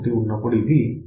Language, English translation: Telugu, 1 this is 1